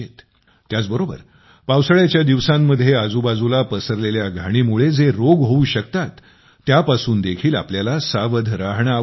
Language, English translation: Marathi, We also have to be alert of the diseases caused by the surrounding filth during the rainy season